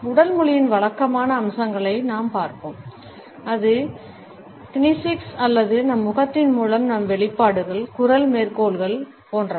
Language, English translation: Tamil, We will look at the conventional aspects of body language be it the kinesics or our expressions through our face, the voice quotes etcetera